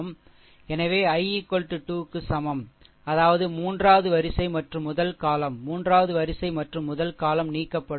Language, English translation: Tamil, So, i is equal to 3; that means, third row and your first column, right so, third row and first column will be eliminated